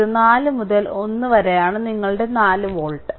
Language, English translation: Malayalam, So, it is 4 into 1 that is your 4 volt right